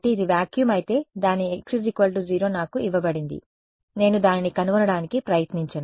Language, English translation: Telugu, So, if this is vacuum its x is equal to 0 which is given to me I am not going to try to find it